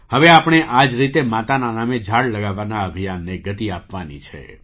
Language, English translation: Gujarati, Now we have to lend speed to the campaign of planting trees in the name of mother